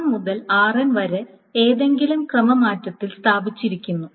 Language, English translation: Malayalam, So the R1 to RN can be placed in any permutation